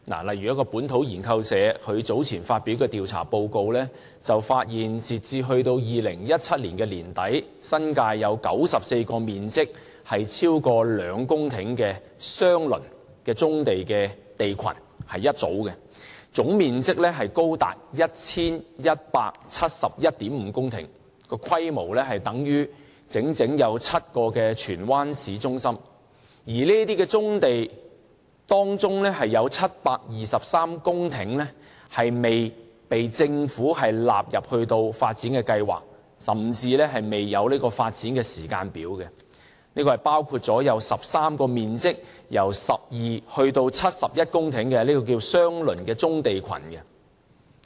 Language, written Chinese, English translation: Cantonese, 例如本土研究社早前發表的調查報告發現，截至2017年年底，新界有94個面積超過2公頃的相鄰棕地群，總面積高達 1,171.5 公頃，規模等於整整7個荃灣市中心；而在這些棕地之中，有723公頃未被政府納入發展計劃，甚至未有發展時間表，包括有13幅面積由12公頃至71公頃不等的相鄰棕地群。, For example the survey report released earlier by the Liber Research Community says that as at the end of 2017 it already identified 94 brownfield land clusters in the New Territories spanning two hectares amounting to a total area of 1 171.5 hectares which is equivalent to seven Tsuen Wan town centres . Among these brownfield sites 723 hectares have not been included by the Government in any development plan or even have any timetable for development . They include 13 brownfield land clusters with areas ranging from 12 hectares to 71 hectares